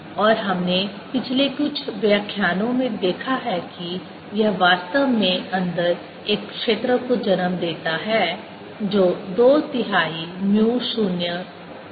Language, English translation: Hindi, and we have seen in the past few lectures ago that this actually gives rise to a field inside which is two thirds mu zero m